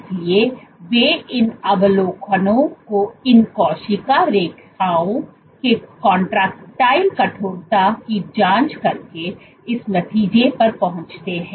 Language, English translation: Hindi, So, they reach these observations by probing the cortical stiffness of these cell lines